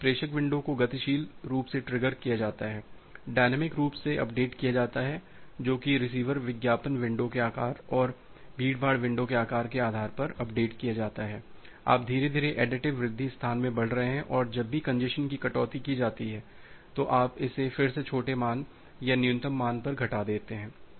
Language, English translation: Hindi, So, this sender window is dynamically triggered, dynamically updated based on the receiver advertise window size and the congestion window size, that you are gradually increasing in the additive increase space, and whenever a congestion is deducted you are dropping it again to small value or a minimum value